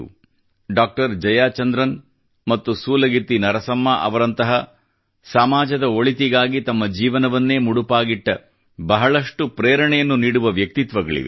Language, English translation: Kannada, Jaya Chandran and SulagittiNarsamma, who dedicated their lives to the welfare of all in society